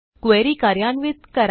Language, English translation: Marathi, And run the query